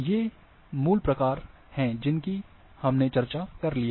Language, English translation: Hindi, These are the basic types which have been we have already discussed, this one